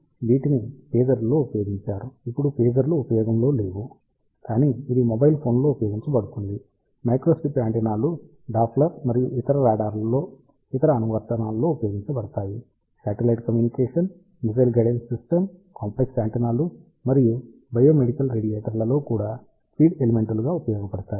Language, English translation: Telugu, So, these were used in pagers of course, now days there are no pagers, but it has been used in mobile phones microstrip antennas find application in Doppler and other radars, satellite communication, missile guidance systems, feed element even in complex antennas and biomedical radiator